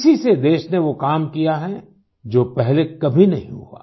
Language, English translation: Hindi, This is why the country has been able to do work that has never been done before